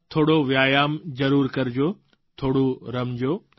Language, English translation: Gujarati, Do some exercises or play a little